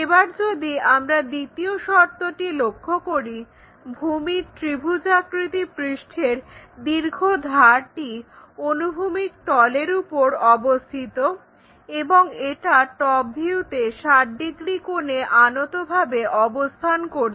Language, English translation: Bengali, And second condition if we are seeing, the longer edge of the base of the triangular face lying on horizontal plane and it is inclined 60 degrees in the top view